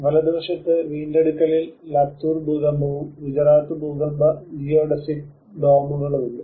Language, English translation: Malayalam, There is Latur earthquake on the right hand side recovery and the Gujarat earthquake geodesic domes